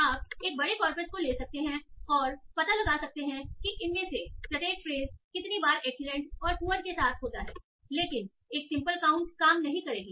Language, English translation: Hindi, So you can take a large corpus, find out how many times each of these phase is occurring with excellence and poor, but simple count will not work